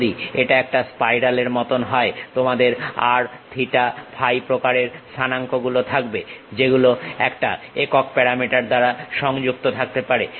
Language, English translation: Bengali, If it is something like a spiral you have r theta phi kind of coordinates which can be connected by one single parameter